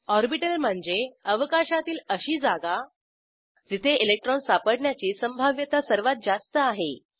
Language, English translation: Marathi, An orbital is a region of space with maximum probability of finding an electron